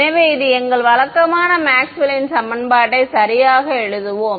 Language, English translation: Tamil, So, let us just write down our usual Maxwell’s equation right